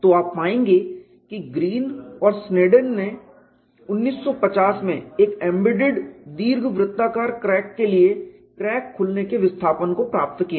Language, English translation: Hindi, So, you find the Green and Sneddon in 1950 obtained the crack opening displacement for an embedded elliptical crack